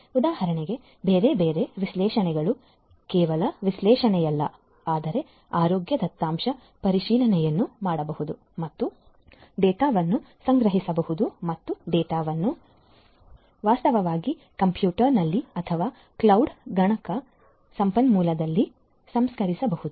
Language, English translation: Kannada, Different other analysis for example not just analysis, but may be health data; health data verification can be performed and the data can be stored and the data can in fact, be also processed in a computer or a computational resource in the cloud and so on